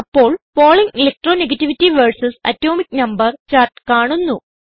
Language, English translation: Malayalam, A chart of Pauling Electro negativity versus Atomic number is displayed